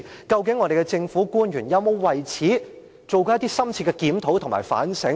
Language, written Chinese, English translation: Cantonese, 究竟政府官員有否為此做過深切檢討和反省？, Have government officials ever conducted thorough reviews and reflected deeply on the case?